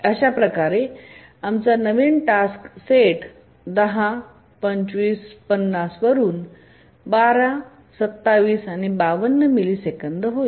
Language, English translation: Marathi, So our new task set becomes 12, 27 and 50 milliseconds